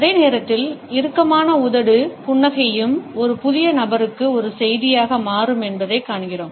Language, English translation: Tamil, At the same time we find that the tight lipped smile also becomes a message to a new entrant in the group to suggest that the person is not included